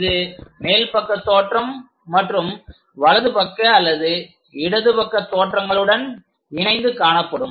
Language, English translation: Tamil, That will be connected by top and right side views or perhaps left side views